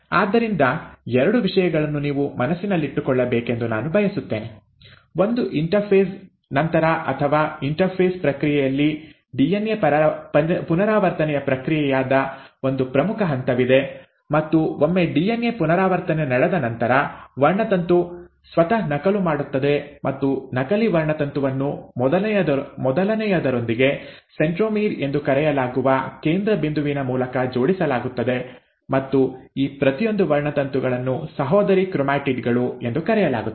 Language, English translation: Kannada, So two things I want you to bear in mind; one, that after interphase, or during the process of interphase, there is a very important step which happens which is the process of DNA replication, and once the DNA replication has taken place, the chromosome duplicates itself and the duplicated chromosome is attached with the first one through a center point called as the centromere, and each of these chromosomes are called as the sister chromatids